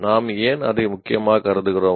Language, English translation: Tamil, How does he consider it important